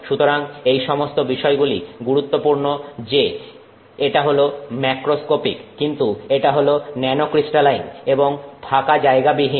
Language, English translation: Bengali, So, all these combinations are important that it is macroscopic and but it is nanocrystalline and also non porous